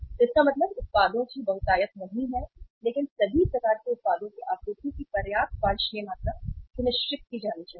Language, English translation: Hindi, So it means not abundance of the products but sufficient desirable amount of the supply of all kind of the product should be ensured